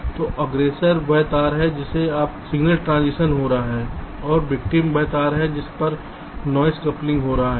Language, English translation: Hindi, so aggressor is the wire on which signal transition is occurring and victim is the wire on which the noise is is getting coupled